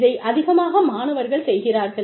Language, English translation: Tamil, A lot of time, students do this